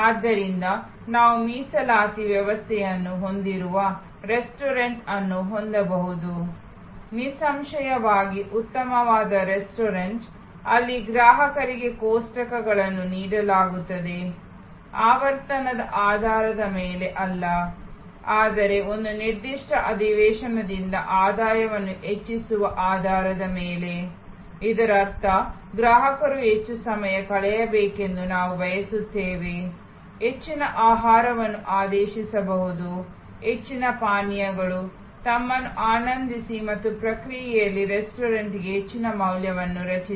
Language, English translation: Kannada, So, we can have a restaurant which has a reservation system; obviously, a fine dining restaurant, where tables are given to customers not on the basis of frequency, but on the basis of maximizing the revenue from a particular session, which means that, we want the customer to spent more time, order more food, more drinks, enjoy themselves and in the process also, create more value for the restaurant